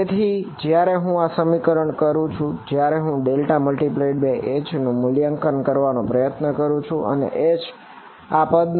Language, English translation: Gujarati, So, when I do this expression over here when I try to evaluate curl of H and H is of this form